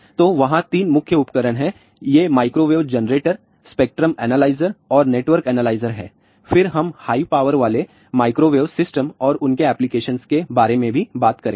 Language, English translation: Hindi, So, there are 3 main equipments are there these are microwave generator spectrum analyzer and network analyzer and then we will also talk about high power microwave systems and what are their applications